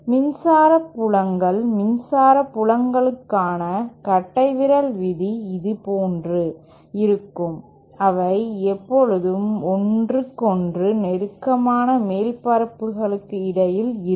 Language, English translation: Tamil, The electric fields, rule of thumb for electric fields is that they are always, they always exist between the surfaces which are closest to each other